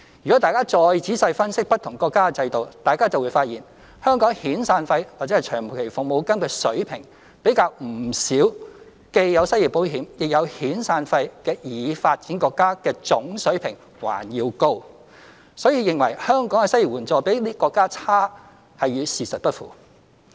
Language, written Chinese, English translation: Cantonese, 若大家再仔細分析不同國家的制度，就會發現香港遣散費/長期服務金的水平，比不少既有失業保險亦有遣散費的已發展國家的總水平還要高，所以認為香港的失業援助比這些國家差，是與事實不符。, If we analyse the systems in different countries in greater detail we will find that the level of severance paymentlong service payment in Hong Kong is higher than the aggregate level of payment in many developed countries where both unemployment insurance and severance payment exist . Therefore the view that Hong Kong compares unfavourably with these countries in terms of unemployment assistance does not tally with the facts